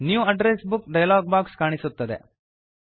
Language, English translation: Kannada, The New Address Book dialog box appears